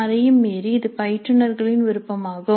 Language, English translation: Tamil, Beyond that it is instructor's choice